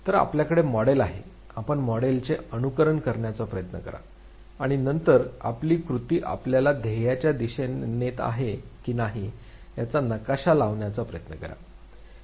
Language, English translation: Marathi, So you have the model, you try to imitate the model, and then you try to map whether your action is leading you towards the goal or not